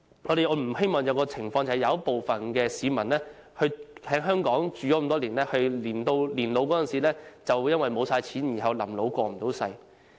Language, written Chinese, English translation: Cantonese, 我們不希望有一種情況，就是有部分長時間在港生活的市民，在年老時因花光積蓄而"臨老過唔到世"。, We do not hope to see certain people who have been living in Hong Kong for a long time end up in misery in their old age for having exhausted their savings